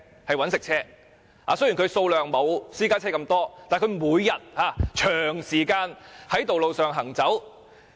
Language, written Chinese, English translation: Cantonese, 雖然商用車比私家車少，但商用車每天長時間在道路上行走。, While private cars outnumber commercial vehicles commercial vehicles travel on roads for long hours every day